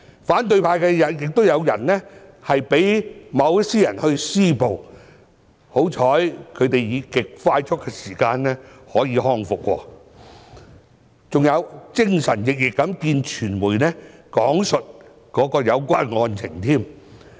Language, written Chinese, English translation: Cantonese, 反對派也有人被某些人施襲，幸好他們以極快速的時間康復，還精神奕奕的會見傳媒，講述當時的有關案情。, Some people from the opposition camp have also become targets of attacks but fortunately they have recovered with admirable speed and have managed to meet with the media in very good shapes to give an account of the facts of their cases